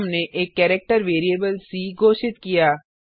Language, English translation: Hindi, Then we have declared a character variable c